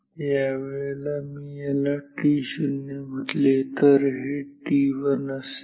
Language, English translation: Marathi, This will be t 1, this is t 1